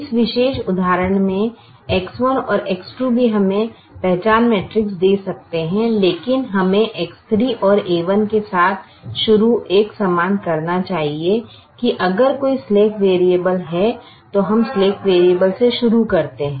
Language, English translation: Hindi, in this particular example, x two and a one also can give us the identity matrix, but we start with x three and a one to be consistent that if there is a slack variable we start with the slack variable